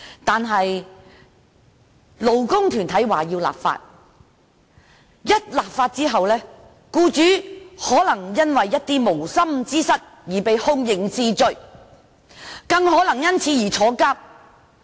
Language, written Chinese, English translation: Cantonese, 有勞工團體要求立法，但一旦立法，僱主可能會因為無心之失而被刑事檢控，更有可能因此而坐牢。, While labour groups demand legislation employers may inadvertently be liable to criminal prosecution or even imprisonment after such legislation is enacted